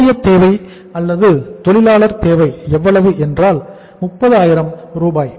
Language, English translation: Tamil, The wages requirement is or the labour requirement is how much 30,000 right